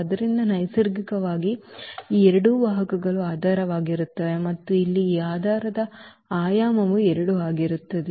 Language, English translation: Kannada, So, naturally these two vectors will form the basis and the dimension of this basis here will be 2